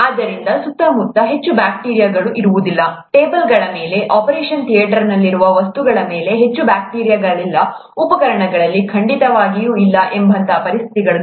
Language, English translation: Kannada, not much bacteria around, not much bacteria on the tables, on the material that is in the operation theatre, certainly not in the instruments and so on